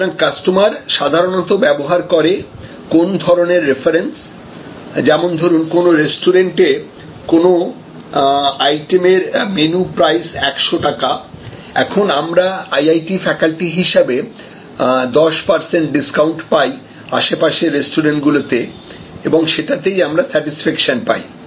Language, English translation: Bengali, So, customer often use a some kind of reference, for example, if the menu price is 100 in a restaurant and we as IIT faculty get of 10 percent discount in a nearby restaurant, then we feel you know that, you feel a higher level of satisfaction